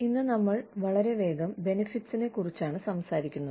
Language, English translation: Malayalam, Today, we will talk about, benefits, very quickly